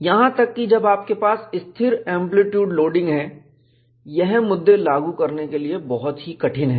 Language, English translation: Hindi, Even when you have a constant amplitude loading, these issues are very difficult to implement